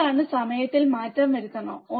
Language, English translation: Malayalam, What is change in the time